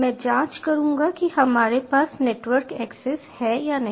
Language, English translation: Hindi, i will check whether we have network access or not